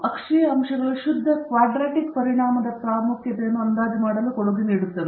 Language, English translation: Kannada, The axial points contribute to the estimation of the individual pure quadratic effect’s significance